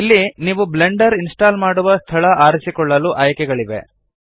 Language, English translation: Kannada, So here you have the option to Choose Install location for Blender